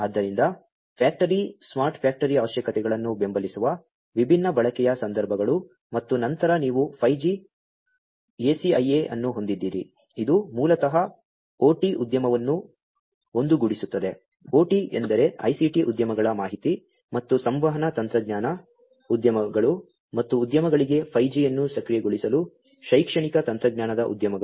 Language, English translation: Kannada, So, different use cases supporting the factory smart factory requirements and then you have the 5G – ACIA, which basically unites the OT industry OT means operational technology industries with the ICT industries information and communication technology industries and academia for enabling 5G for industries